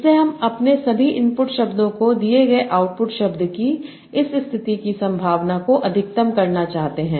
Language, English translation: Hindi, So I want to maximize this condition probability of output word given all my input words